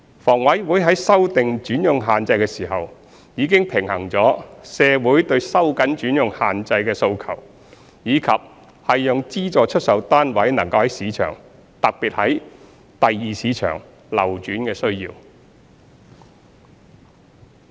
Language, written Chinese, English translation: Cantonese, 房委會在修訂轉讓限制時，已經平衡了社會對收緊轉讓限制的訴求，以及讓資助出售單位能在市場上流轉的需要。, When HA revised the alienation restrictions it had already balanced the calls from the public for tightening the alienation restrictions and the need to enable circulation of SSFs in the market especially in the Secondary Market